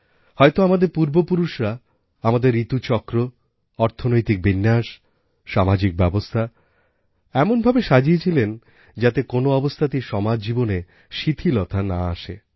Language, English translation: Bengali, Perhaps our ancestors intricately wove the annual seasonal cycle, the economy cycle and social & life systems in a way that ensured, that under no circumstances, dullness crept into society